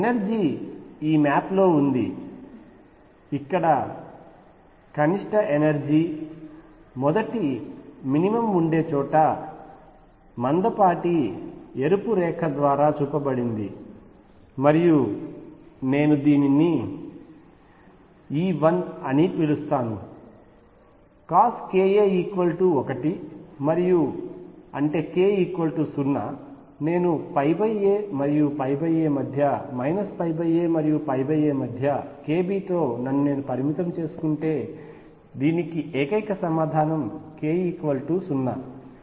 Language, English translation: Telugu, And energy is in this map notice that where the minimum of the energy first minimum exists right here the by shown by thick red line and I will call it E 1 there cosine of k a is equal to 1 and; that means, k equals 0, if I restrict myself with k b in between minus pi by a and pi by a then the only answer for this is k equals 0